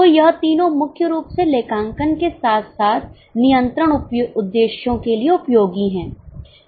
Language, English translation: Hindi, So these three are primarily useful for accounting as well as control purposes